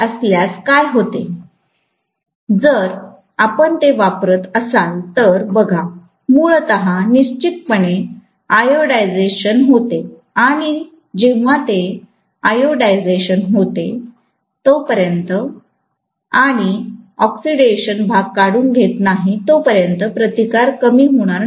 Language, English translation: Marathi, If you use it, see, basically gets oxidised definitely and when it gets oxidised, unless you remove the Oxidation portion, the resistance will not decreased